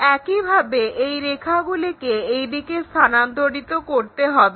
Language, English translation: Bengali, Similarly, transfer this length in this direction